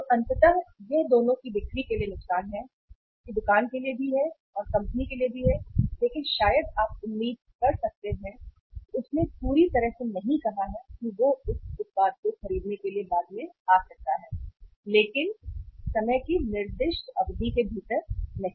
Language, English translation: Hindi, So ultimately it is a loss of sale to the uh to the both that is to the store also that is to the company also but maybe you can hope that he has not completely said not to buy the product he may come later on but not with the within the specified period of time